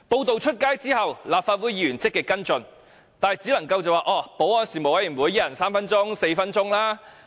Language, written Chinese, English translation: Cantonese, 作出報道後，立法會議員積極跟進，但只能在保安事務委員會上，每人提問三四分鐘。, After the media coverage Members did actively follow up the issue yet all we could do was to raise questions at meetings of the Panel on Security during which each of us was given three or four minutes time